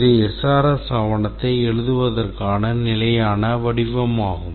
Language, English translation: Tamil, This is a standard format of writing the SRS document